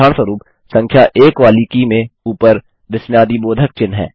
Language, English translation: Hindi, For example, the key with the numeral 1 has the exclamation mark on top